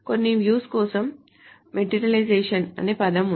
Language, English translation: Telugu, For some views, there is a term called materialization